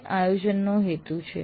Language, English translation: Gujarati, That is a purpose of planning